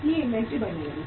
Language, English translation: Hindi, So inventory started mounting